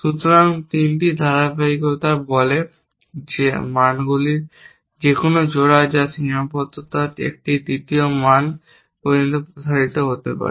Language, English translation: Bengali, So, 3 consistencies say that any pair of values which are constraint can be a extended to a third value